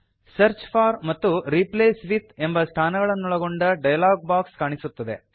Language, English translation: Kannada, You see a dialog box appears with a Search for and a Replace with field